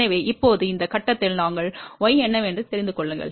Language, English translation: Tamil, So now, at this point we know what is y